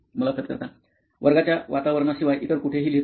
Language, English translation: Marathi, Other than the classroom environment, do you write anywhere else